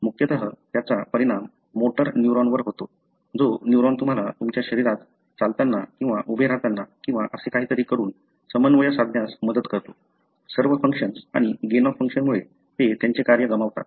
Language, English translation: Marathi, Mainly it affects the motor neuron, the neuron that help you to coordinate your body while walking or standing up or whatever,, all the functions and they lose their function, because of a gain of function mutation